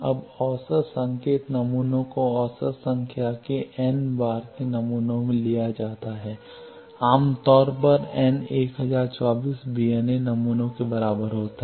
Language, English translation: Hindi, Now, averaging same signal is sampled for n number of times average of samples, typically n is equal to 1024 VNA samples are complex